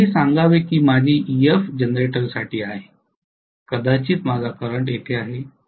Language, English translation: Marathi, So let us say this is my Ef for a generator maybe my current is somewhere here, right